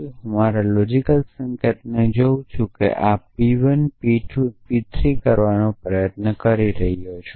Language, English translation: Gujarati, If I look at my logical notation I am trying to do this P 1 P 2 P 3